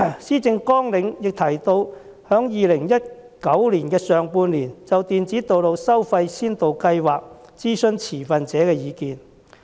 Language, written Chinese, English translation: Cantonese, 施政綱領亦提到在2019年上半年就電子道路收費先導計劃諮詢持份者的意見。, It is also proposed in the policy agenda that stakeholders will be consulted in the first half of 2019 with regard to the Electronic Road Pricing Pilot Scheme